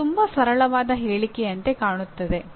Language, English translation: Kannada, It looks very simple statement